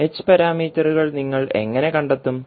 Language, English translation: Malayalam, Now, how you will now how you will find the h parameters